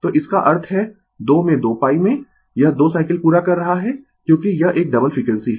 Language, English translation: Hindi, So, that means, in 2 in 2 pi, it is completing 2 cycles because it is a double frequency